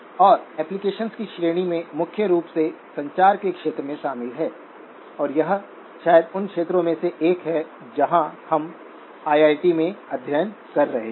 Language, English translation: Hindi, And the range of applications include primarily in the area of communications and that is probably one of the areas where we at IIT have been doing a lot of the study